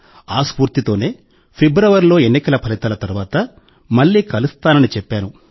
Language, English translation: Telugu, With this very feeling, I had told you in February that I would meet you again after the election results